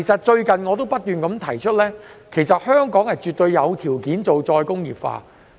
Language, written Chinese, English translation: Cantonese, 最近我不斷提出，香港絕對有條件推行再工業化。, Recently I have stated time and again that Hong Kong does have the conditions to implement re - industrialization